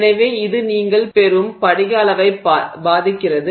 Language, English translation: Tamil, It also impact the distribution of crystal sizes that you get